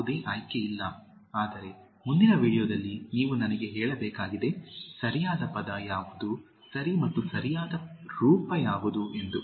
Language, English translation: Kannada, No choice, but you have to tell me in the next video, what is the right word, okay and what is the correct form